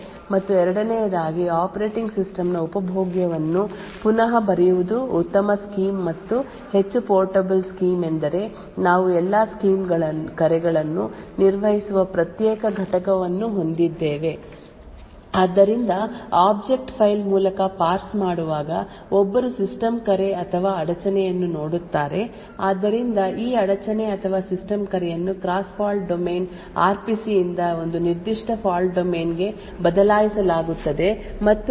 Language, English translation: Kannada, However there are two problems with this first it makes the entire scheme a non portable and secondly it would require consumable rewriting of the operating system a better scheme and a more portable scheme is where we have a separate entity which handles all system calls, so whenever while parsing through the object file one would see a system call or an interrupt, so this interrupt or system call is replaced by a cross fault domain RPC to a particular fault domain which is trusted and handle system calls